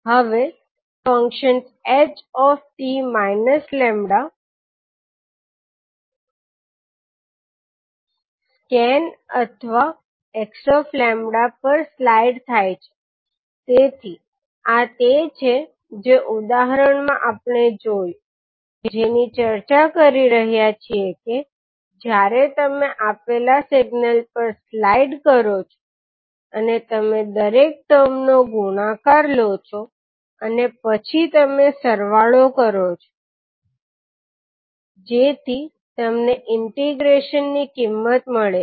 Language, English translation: Gujarati, Now the functions h t minus lambda scans or slides over h lambda, so this what we saw in the example which we were discussing that when you slide over the particular given signal and you take the product of each and every term and then you sum it up so that you get the value of integral